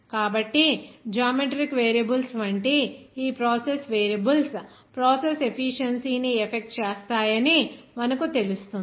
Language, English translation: Telugu, So, that is why this process variables like geometric variables will you know that affect the process efficiency